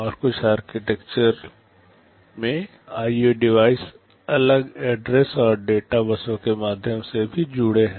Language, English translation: Hindi, And in some architectures the IO devices are also connected via separate address and data buses